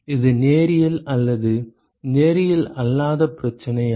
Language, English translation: Tamil, Is it a linear or a non linear problem